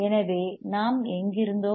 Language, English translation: Tamil, So, whatever is where were we